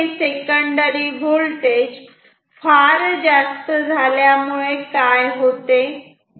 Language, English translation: Marathi, So, secondary voltage will be even higher